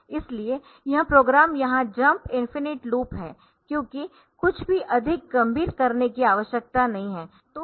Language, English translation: Hindi, So, this program is jump is infinite loop here because nothing more serious needs to be done